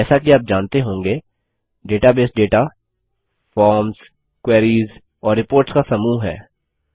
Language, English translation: Hindi, As you may know, a database is a group of data, forms, queries and reports